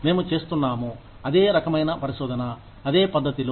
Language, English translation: Telugu, We are doing, the same kind of research, in the exact same manner